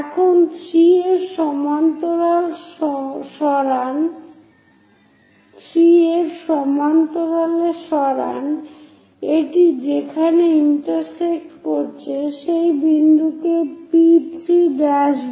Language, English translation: Bengali, Now move parallel to 3 it intersects here call that point P3 prime